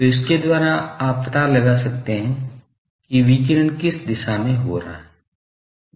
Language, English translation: Hindi, So, by that you can find out in which direction radiation is taking place